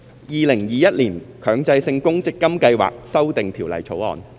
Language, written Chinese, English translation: Cantonese, 《2021年強制性公積金計劃條例草案》。, Mandatory Provident Fund Schemes Amendment Bill 2021